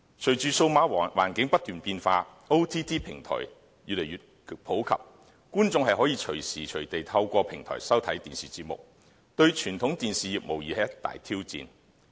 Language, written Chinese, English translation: Cantonese, 隨着數碼環境不斷變化 ，OTT 平台越來越普及，觀眾可隨時隨地透過平台收看電視節目，對傳統電視業無疑是一大挑戰。, With the changing digital environment OTT platforms become increasingly popular . Viewers may watch television programmes on these platforms anytime anywhere posing a tall challenge to the traditional television industry